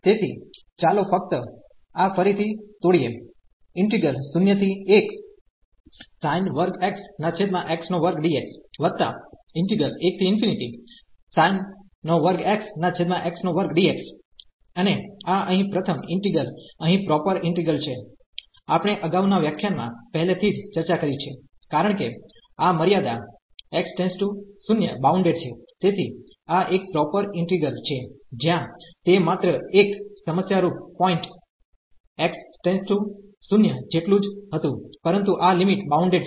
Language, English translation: Gujarati, And this the first integral here is a proper integral, we have discussed already in the last lecture, because this limit as x approaches to 0 is finite; so this is a proper integral where that was the only problematic point as x approaching to 0, but this limit is finite